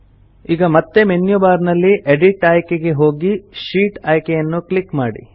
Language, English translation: Kannada, Now again click on the Edit option in the menu bar and then click on the Sheet option